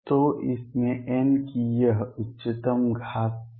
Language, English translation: Hindi, So, this highest power of n in this is 2